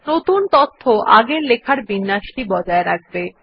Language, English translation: Bengali, The new data will retain the original formatting